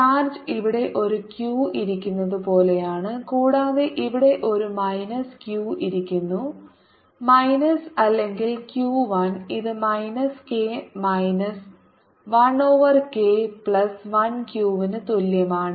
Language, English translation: Malayalam, for x greater than zero that is this region the charge is as if there is a q sitting here and there's a minus q sitting here, minus or q, one which is equal to minus k, minus one over k, plus one q